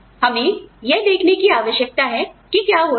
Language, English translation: Hindi, We need to see, what is going in